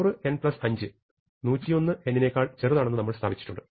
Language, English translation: Malayalam, So, we can say 100 n plus 5 is smaller than equal to 100 n plus n